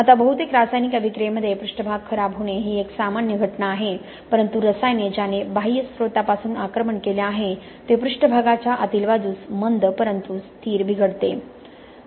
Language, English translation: Marathi, Now surface deterioration is a common phenomenon in most chemical attack, okay most chemicals that attacked from an external source will lead to a slow but steady deterioration from the surface inwards